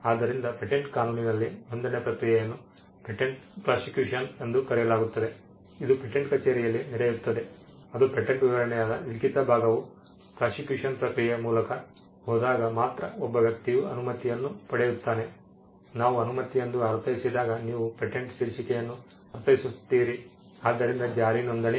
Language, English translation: Kannada, So, the process of registration in patent law is called patent prosecution, it happens at the patent office only when the written part that is a patent specification go through the process of prosecution there is a person get a grant right; when we mean by a grant you mean a title of patent, so enforcement registration